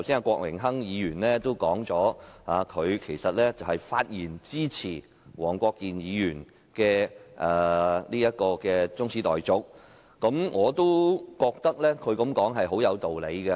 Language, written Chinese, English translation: Cantonese, 郭榮鏗議員剛才提到，他發言支持黃國健議員的中止待續議案，我覺得他的說法很有道理。, Mr Dennis KWOK just now said that he spoke in support of Mr WONG Kwok - kins adjournment motion . I find his words make sense